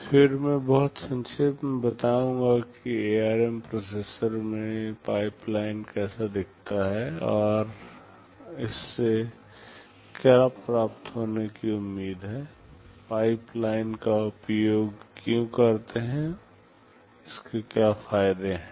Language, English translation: Hindi, Then I shall very briefly tell how the pipeline in the ARM processor looks like, and what is expected to be gained out of it, why do use pipeline, what are the advantages that you have out of it